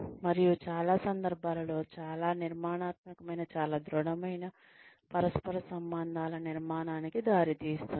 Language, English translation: Telugu, And, that in most cases, leads to the building of, very constructive, very solid, interpersonal relationships